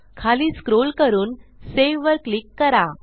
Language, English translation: Marathi, Let us scroll down and lets click on SAVE